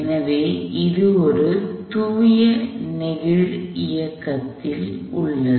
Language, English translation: Tamil, So, it is in a pure sliding motion